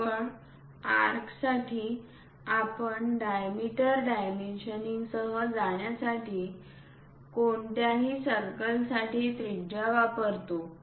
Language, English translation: Marathi, Only for arcs, we use radius for any kind of circles we have to go with diameter dimensioning